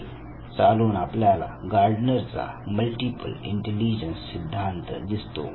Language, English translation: Marathi, Then theory came what was called as the Theory of Multiple Intelligence by Gardner